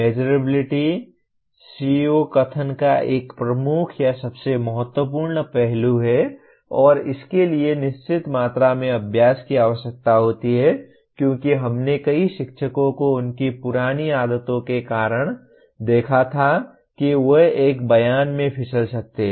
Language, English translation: Hindi, Measurability is one major or most important aspect of a CO statement and this requires certain amount of practice because what we observed many teachers kind of because of their old their habits may slip into a statement